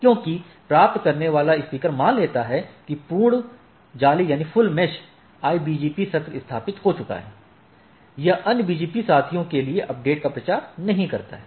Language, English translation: Hindi, Because, the receiving speaker assume full mesh IBGP sessions have been established, it does not propagate the update to the other BGP peers